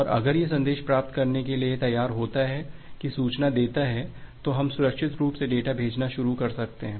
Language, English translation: Hindi, And if it is ready to receive the message, if it acknowledges then we can safely start sending the data